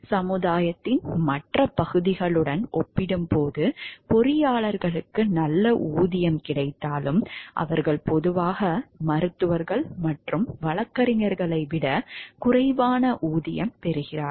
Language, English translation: Tamil, Although engineers are paid well compared to the rest of the society, they are generally less well compensated than physicians and lawyers